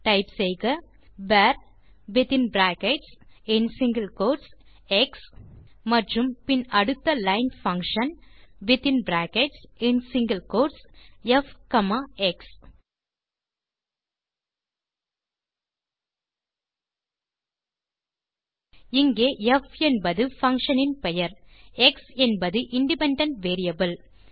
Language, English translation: Tamil, So you can type var within brackets and single quotes x and then next line function within brackets and single quotes f comma x Here f is the name of the function and x is the independent variable